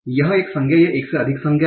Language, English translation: Hindi, It is one noun or more than one noun